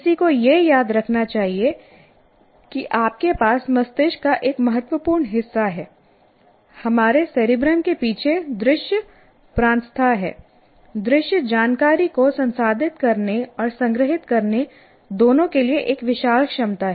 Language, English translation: Hindi, That one should remember that you have a significant part of the brain at the backside of our what do you call cerebrum, that visual cortex has enormous capacity to both process and store information